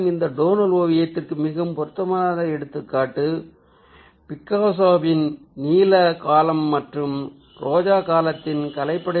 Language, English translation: Tamil, a very appropriate example of this tonal painting is the artwork of picasso of his blue period and rose period